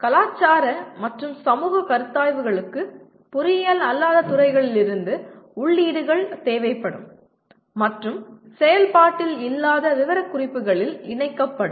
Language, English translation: Tamil, Cultural and societal considerations will require inputs from non engineering fields and incorporated into the non functional specifications